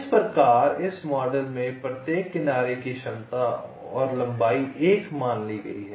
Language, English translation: Hindi, so in this model the capacity and the length of each edge is assume to be one